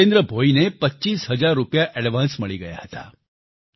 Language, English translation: Gujarati, Jitendra Bhoi even received an advance of Rupees twenty five thousand